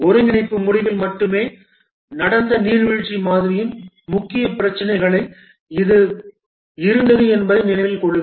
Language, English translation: Tamil, Remember that this was one of the major problem with waterfall model where the integration took place only at the end